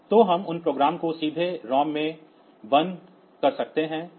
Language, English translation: Hindi, So, we can burn those programs to the ROM directly